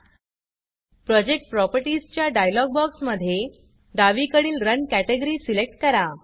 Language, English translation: Marathi, In the Project Properties dialog box, select the Run category on the left side